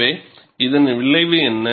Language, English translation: Tamil, So, what is the result